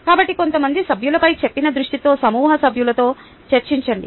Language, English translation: Telugu, so, discussion with group members, with an unsaid focus on some of the members